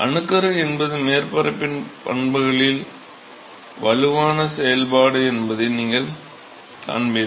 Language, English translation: Tamil, So, you will see that the nucleation is the strong function of the properties of the surface